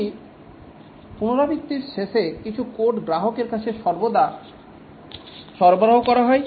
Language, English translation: Bengali, At the end of a iteration, some code is delivered to the customer invariably